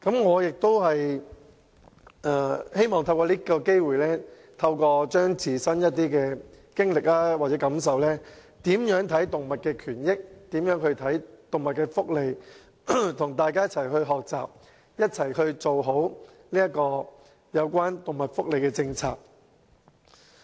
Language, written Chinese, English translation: Cantonese, 我希望透過這個機會，與大家分享我的一些自身經歷或感受，說說我對動物權益及福利的看法，並與大家一起學習，一起做好有關動物福利的政策。, I wish to take this opportunity to share with Members my personal experiences or feelings talk about my views on animal rights and welfare and learn with Members . Let us work towards a good animal welfare policy together